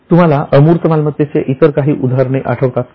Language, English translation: Marathi, Any other examples of intangible asset do you think of